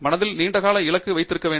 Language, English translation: Tamil, You must be able to keep the long term goal in mind